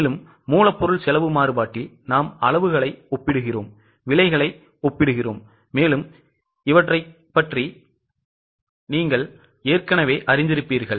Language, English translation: Tamil, So, in material cost variance you know that we are comparing the quantities and we are comparing the prices